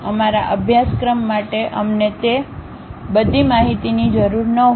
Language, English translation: Gujarati, For our course, we may not require all that information